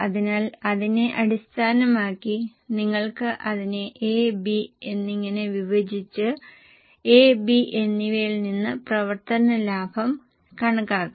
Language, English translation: Malayalam, So, based on that, you can break it down into A and B and compute the operating profit from A and B